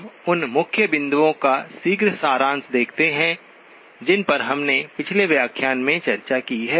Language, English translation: Hindi, We look at a quick summary of the key points that we have discussed in the last lecture